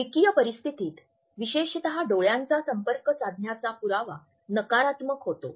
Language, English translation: Marathi, In dyadic situations particularly the evidence of eye contact passes on negative connotations